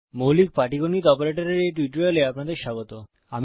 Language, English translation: Bengali, Welcome to this tutorial on basic arithmetic operators